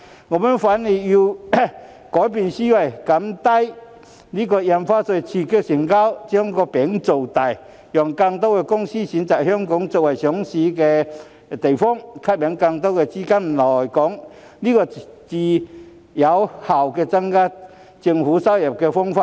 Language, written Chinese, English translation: Cantonese, 我們反而要改變思維，降低印花稅以刺激成交，"把餅造大"，讓更多公司選擇香港作為上市首選地，吸引更多資金來港，這才是更有效增加政府收入的方法。, Instead we have to change our mindset and reduce Stamp Duty to stimulate transaction . By making a bigger pie more companies will consider regarding Hong Kong as their most preferred place for listing and more funds will be attracted to Hong Kong . This is a more effective way to increase government revenues